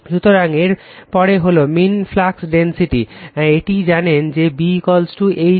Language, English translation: Bengali, So, next is the mean flux density, it is we know, B is equal to mu into H, so but H is equal to F m upon l